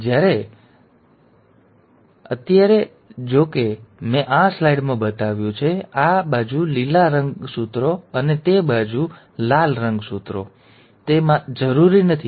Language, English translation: Gujarati, So right now, though I have shown in this slide, green chromosomes on this side and the red chromosomes on that side, it is not necessary